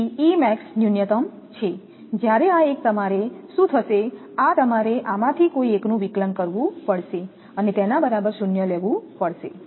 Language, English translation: Gujarati, So, E max is minimum when this one, what will happen you have to take that derivate of this one and set it to 0